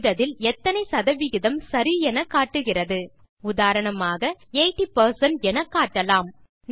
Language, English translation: Tamil, The Correctness field displays the percentage of correctness of your typing.For example, it may display 80 percent